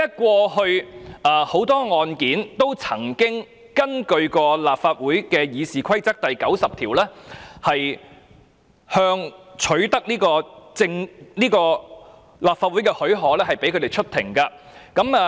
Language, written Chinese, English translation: Cantonese, 過去多宗案件也曾根據《議事規則》第90條，取得立法會的許可，讓有關人士出庭。, In a number of cases in the past leave was sought from the Legislative Council under RoP 90 for the persons concerned to appear in court